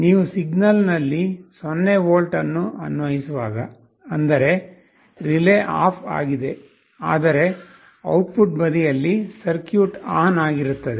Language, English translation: Kannada, When you are applying a 0 volt on the signal; that means, relay is OFF, but on the output side the circuit will be on